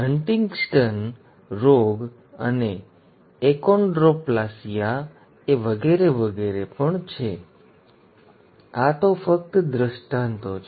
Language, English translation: Gujarati, So are Huntington’s disease and Achondroplasia and so on and so forth; these are just examples